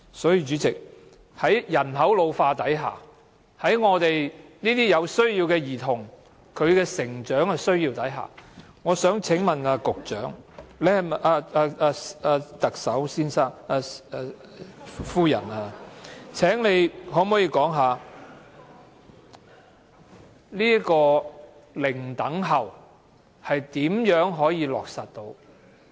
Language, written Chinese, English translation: Cantonese, 所以，主席，在人口老化下，在有需要的兒童的成長需要下，我想請問特首可否說說"零輪候"是如何得以落實？, Therefore President may I ask the Chief Executive how she can achieve zero - waiting time in the face of the ageing population and the developmental needs of children with special needs